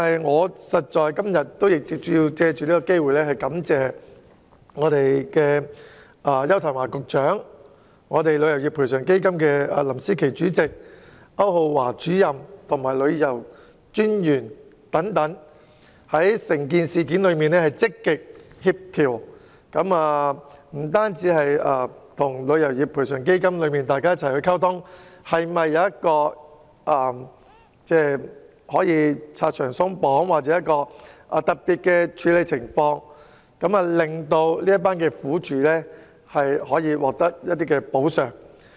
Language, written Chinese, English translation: Cantonese, 我今天想藉此機會感謝邱騰華局長、旅遊業賠償基金管理委員會主席林詩棋、旅行代理商註冊主任歐浩華及旅遊專員等，就此事件積極協調並與賠償基金溝通，研究如何拆牆鬆綁或特別處理，令這些苦主獲得一些補償。, I would like to take this opportunity today to thank Secretary Edward YAU Chairman of TICF Management Board Kevin LAM Registrar of Travel Agents Brendan AU and the Commissioner for Tourism for actively coordinating and communicating with TICF in respect of the incident and exploring how to remove barriers or provide special treatment to the victims so that they can receive some compensations